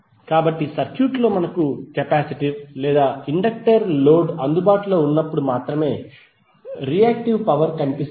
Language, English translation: Telugu, So it means that the reactive power is only visible when we have either capacitive or inductive load available in the circuit